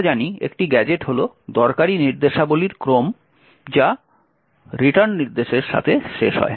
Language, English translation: Bengali, As we know a gadget is sequence of useful instructions which is ending with the return instruction